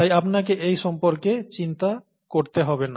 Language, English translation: Bengali, Therefore you don’t have to worry about this